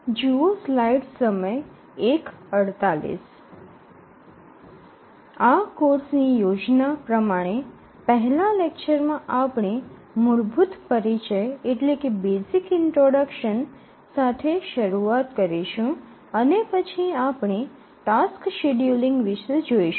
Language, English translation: Gujarati, The plan of this course is that this first lecture we will start with some very basic introduction and then we will look some basics of task scheduling